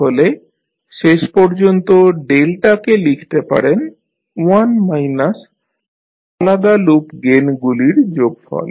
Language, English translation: Bengali, So, finally the delta is which you can write is 1 minus summation of the individual loop gains